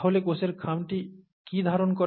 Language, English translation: Bengali, So what does the cell envelope contain